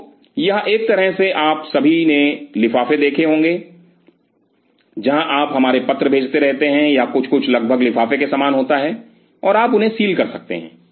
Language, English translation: Hindi, So, it is kind of a you must have all have seen envelopes, where you keep our send our letters or something is almost similar to envelop and you can seal them